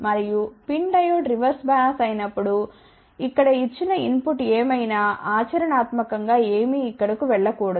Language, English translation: Telugu, And, when PIN Diode is reverse bias, whatever is the input given here practically nothing should go over here ok